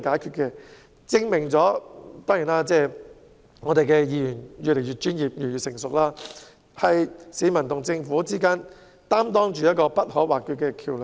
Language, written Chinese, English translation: Cantonese, 這證明區議員越來越專業，也越來越成熟，是市民與政府之間不可或缺的橋樑。, This proves that DC members are becoming more and more professional and mature and they serve as indispensable bridges between members of the public and the Government